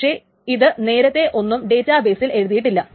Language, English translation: Malayalam, So, nothing is being changed in the actual database